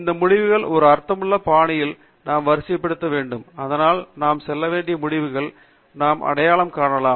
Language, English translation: Tamil, We must sort these results in a meaningful fashion, so that we can identify those results that we want to go over